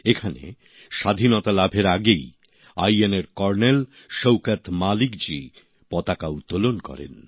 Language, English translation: Bengali, Here, even before Independence, Col Shaukat Malik ji of INA had unfurled the Flag